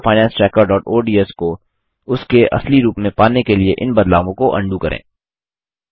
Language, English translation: Hindi, Let us undo these changes in order to get our Personal Finance Tracker.ods to its original form